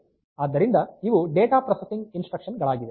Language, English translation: Kannada, So, these are the data processing instructions